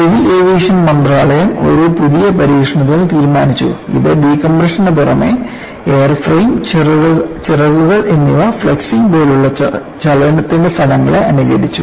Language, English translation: Malayalam, The Ministry of Civil Aviation decided upon a new test which in addition to decompression simulated the effects of motion such as flexing of the airframe and wings